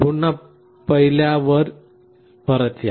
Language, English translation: Marathi, Again come back to the first